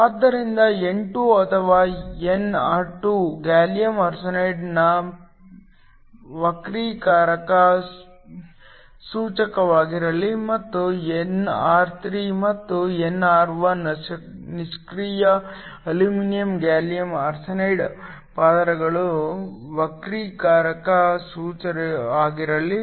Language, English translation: Kannada, So, let n2 or nr2 be the refractive index of gallium arsenide and nr3 and nr1 be the refractive index of the inactive aluminum gallium arsenide layers